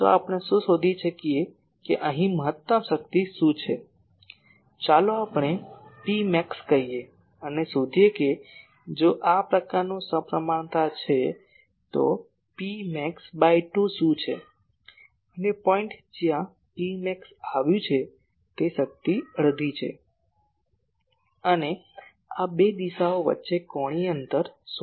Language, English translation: Gujarati, So, what we do we find out that ok what is the maximum power here , let us say P max and find out , if this is a symmetric one like this , then what is the P max by sorry by 2 and point where P max has come power is half and find the angular distance between this two directions